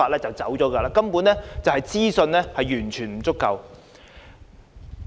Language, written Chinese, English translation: Cantonese, 這反映交通資訊根本完全不足夠。, This shows that traffic information is utterly inadequate